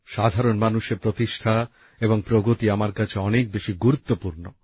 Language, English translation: Bengali, The esteem and advancement of the common man are of more importance to me